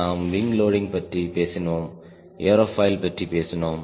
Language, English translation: Tamil, we have talked about wing loading, we have talked about aerofoil